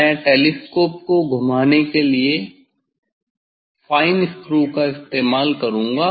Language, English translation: Hindi, I will use the fine screw for moving the telescope